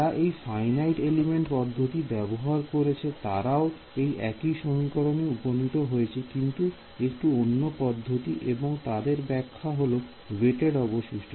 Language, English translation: Bengali, The finite element people they arrived at the same equation via slightly different route and their interpretation is weighted residual